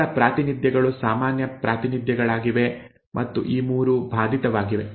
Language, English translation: Kannada, The other representations are the normal representations and these 3 are affected